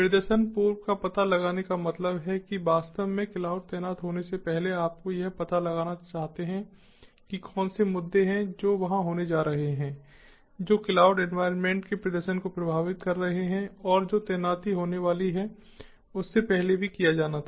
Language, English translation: Hindi, pre detection means even before actually the cloud is deployed, you want to pre detect what are the issues that are going to be there which would be affecting the performance of the cloud environment, and that has to be done even before the deployment is going to take place